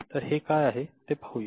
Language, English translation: Marathi, So, let us see what are they